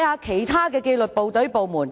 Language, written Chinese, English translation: Cantonese, 其他紀律部隊、部門......, Other disciplined services and departments